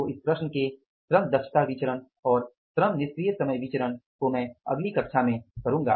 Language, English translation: Hindi, So, labor efficiency variance and the labor idle time variance in this problem I will do in the next class